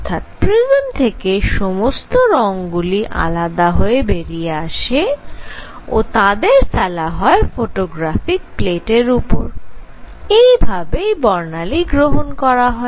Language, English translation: Bengali, So, all the light that is coming out its wavelengths are separated by this prism and that is taken on a photographic plate that is how a spectrum is taken